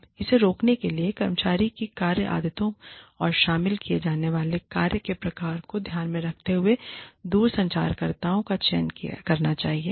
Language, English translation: Hindi, Now, to prevent this, one should select the telecommuters with care, considering the work habits of the employee, and the type of work, that is involved